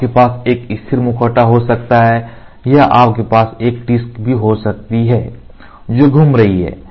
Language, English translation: Hindi, You can have a static mask or you can have also a disc which is rotating